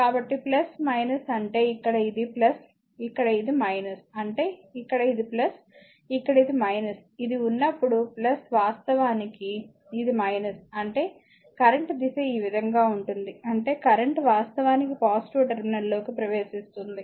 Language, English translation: Telugu, So, plus minus means here it is plus, here it is minus; that means, here it is plus, here it is minus, when this is plus actually this is minus; that means, the direction of the current is this way so; that means, current is actually entering into the positive terminal